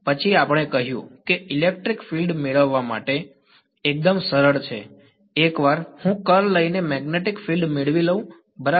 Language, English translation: Gujarati, Then we said that the electric field is simple to obtain once I get the magnetic field just by taking the curl right